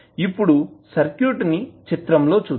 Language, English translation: Telugu, Now, let us see the circuit here